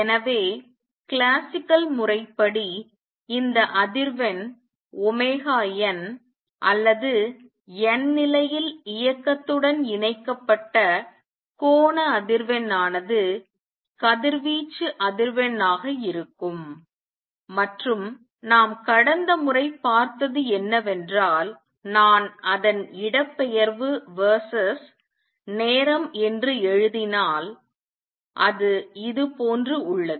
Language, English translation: Tamil, So, classically this frequency omega n or the angular frequency connected with the motion in the nth level will be the frequency of radiation and what we saw last time is that if I write its displacement verses time, it is like this